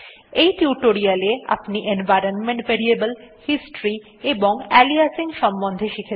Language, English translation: Bengali, So, in this tutorial, you have learned about environment variables, history and aliasing